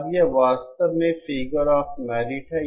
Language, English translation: Hindi, Now this is actually a figure of merit